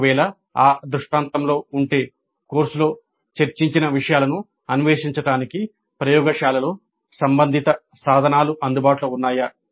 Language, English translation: Telugu, If that is the scenario, whether relevant tools were available in the laboratories to explore the material discussed in the course